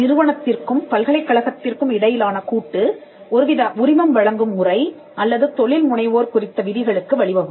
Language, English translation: Tamil, Then the partnership between the commercial entity and the university would lead to some kind of licensing or even some kind of an entrepreneurship rule